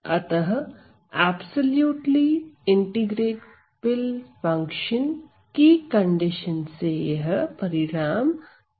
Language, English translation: Hindi, So, for absolutely integrable function condition this result will follow ok